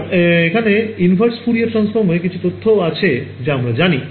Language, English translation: Bengali, And so, there is some theory of a inverse Fourier transform, but you all know that